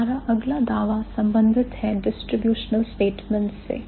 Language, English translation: Hindi, Now our next claim is related to the distribution statement